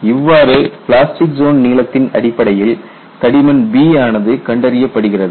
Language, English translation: Tamil, So, you determine the thickness B based on the plastic zone length